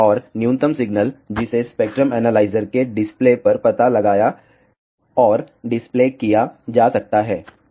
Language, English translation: Hindi, And, the minimum signal that can be detected and displayed on to the spectrum analyzer display